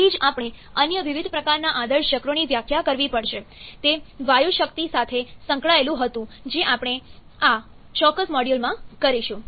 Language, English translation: Gujarati, That is why we have to define different other kinds of ideal cycles, it was associated with the gas power cycles which we shall be doing in this particular module